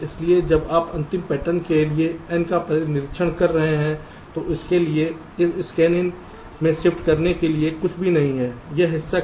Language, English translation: Hindi, so when you are observing the n for the last pattern, so for that, this scanin, there is nothing to shift in